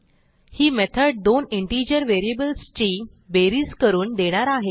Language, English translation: Marathi, So this method will give us the sum of two integer variables